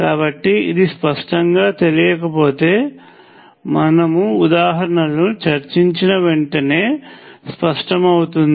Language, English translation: Telugu, So, if this is not clear, it will be clear immediately after we discuss examples